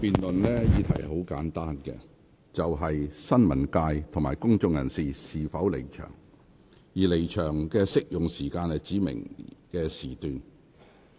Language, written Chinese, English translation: Cantonese, 這項辯論的議題很簡單，就是新聞界及公眾人士應否離場，而離場適用於指明的時段。, The subject of this debate is very simple which is whether members of the press and of the public should withdraw and whether the withdrawal is to be applied for a specified length of time